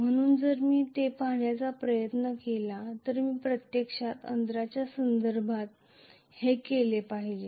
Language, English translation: Marathi, So, if I try to look at this I should do this actually with respect to the distance